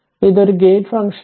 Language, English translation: Malayalam, So, it is a gate function